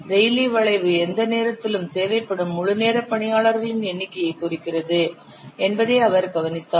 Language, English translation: Tamil, He observed that the Raleigh curve presents the number of full time personnel required at any time